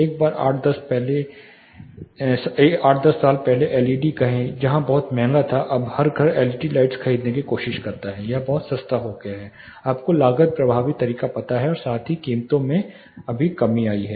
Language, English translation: Hindi, Once say 8 10 years back LEDs where, too costly now every house tries to buy LED lights it has become very cheap you know cost effective method as well the prices of drastically come down right now